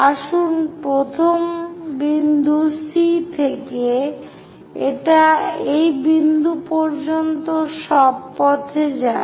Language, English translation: Bengali, Let us pick first point C to 1; it goes all the way up to that point